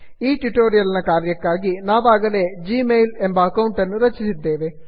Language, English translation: Kannada, For the purpose of this tutorial, we have already created a g mail account